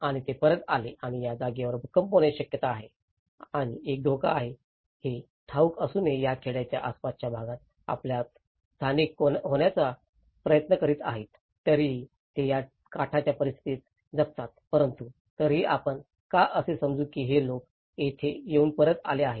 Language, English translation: Marathi, And they came back and they try to settle in the you know, vicinity of this village, despite of knowing that this place is prone to earthquakes and there is a danger, they are going to live on this edge conditions but still, why do you think that these people have come and stayed here back